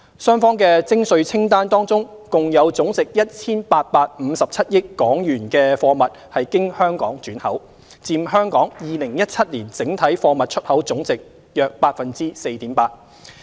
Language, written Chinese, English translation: Cantonese, 雙方的徵稅清單當中共有總值 1,857 億港元的貨物經香港轉口，佔香港2017年整體貨物出口總貨值約 4.8%。, In respect of the United States and Mainlands tariff lists a total of HK185.7 billion of the concerned products were re - exported via Hong Kong accounting for 4.8 % of Hong Kongs total exports of goods in 2017